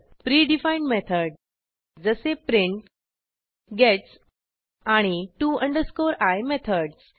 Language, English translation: Marathi, Pre defined method that is print, gets and to i method